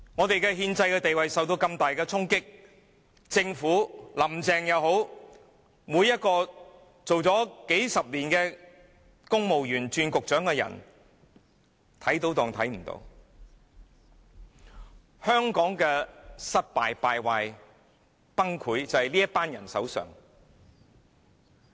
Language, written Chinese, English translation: Cantonese, 本港的憲制地位受到如此大的衝擊，政府官員或林鄭月娥工作數十年，這些由公務員再轉為擔任局長的人看到問題也裝作看不到，香港的失敗、敗壞、崩潰就是源於這群人。, The constitutional status of Hong Kong has come under such severe impact but all the bureau directors and Carrie LAM simply turn a blind eye to the whole thing . These are the very people who cause the failure decadence and collapse of Hong Kong